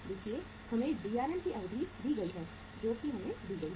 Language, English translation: Hindi, See we are given the duration of the Drm that is given